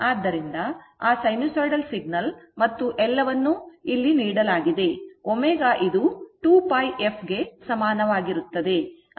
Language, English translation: Kannada, That sinusoidal generation and everything is given here omega is equal to 2 pi f